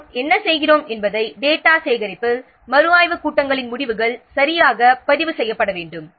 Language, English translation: Tamil, In data collection what we are doing, the results of the review meeting should be properly recorded